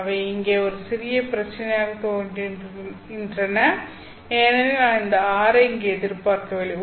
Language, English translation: Tamil, There seems to be a small problem here because I am not expecting this R here